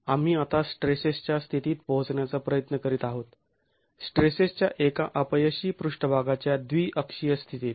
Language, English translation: Marathi, We are now trying to arrive at the state of stresses, the biaxial state of stresses, a failure surface